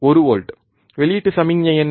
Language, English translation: Tamil, 1 volt, what was the output signal